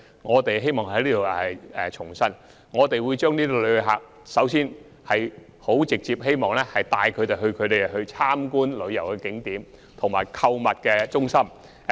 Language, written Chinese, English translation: Cantonese, 我希望在此重申，我們首先是希望把旅客直接帶往旅遊景點及購物中心。, I would like to reiterate that our top priority is to take visitors directly to tourist attractions and shopping centres